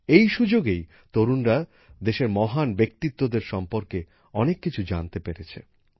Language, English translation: Bengali, During this, our youth got to know a lot about the great personalities of the country